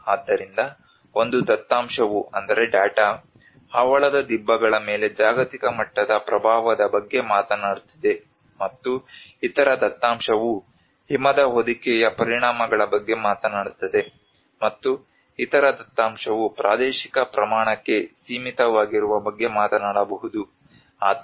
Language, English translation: Kannada, So one data is talking about a global level impact on the coral reefs, and the other data talks about the snow cover impacts, and the other data talks about very limited to a spatial scale maybe the affected area